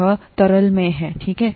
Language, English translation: Hindi, This is in the liquid, okay